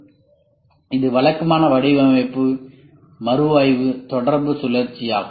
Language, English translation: Tamil, So this is the typical design, review, interaction, cycle ok